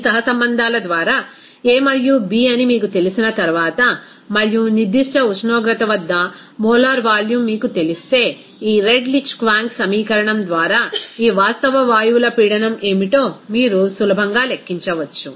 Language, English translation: Telugu, Once you know that a and b by this correlations and if you know that molar volume at a particular temperature, then you can easily calculate what will be the pressure of this real gases by this Redlich Kwong equation